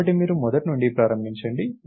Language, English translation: Telugu, So, you start from the beginning